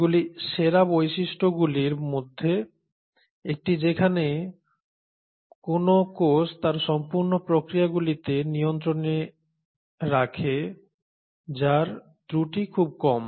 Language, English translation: Bengali, These are one of the best features wherein a cell keeps in control its entire processes which has very few margins of error